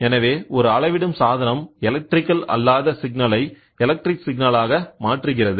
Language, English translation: Tamil, So, a measuring device the transform non electrical value into electrical signal is direct